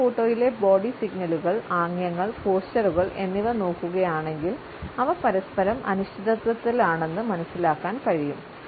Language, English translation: Malayalam, If you look at the body signal gestures and postures in the first photograph, we find that they exhibit a sense of uncertainty towards each other